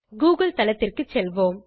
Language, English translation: Tamil, Lets go to the google site